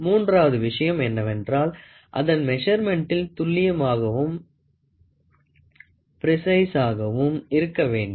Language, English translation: Tamil, The third thing is it should be accurate and precise in its measurement